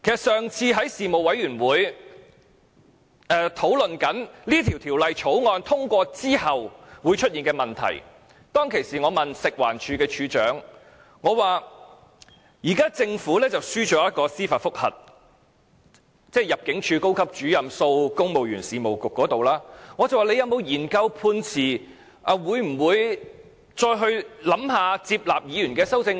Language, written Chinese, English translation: Cantonese, 上次在法案委員會討論《條例草案》通過之後會出現的問題，當時我問食物環境衞生署署長，政府在高級入境事務主任訴公務員事務局的司法覆核中敗訴，政府有否研究判詞，會否再考慮接納議員的修正案？, When we last discussed the possible consequences of the passage of the Bill in the Bills Committee I asked the Director of Food and Environmental Hygiene whether the Government would study the Judgment and reconsider accepting Members amendments after losing the judicial review of a Senior Immigration Officer vs Civil Service Bureau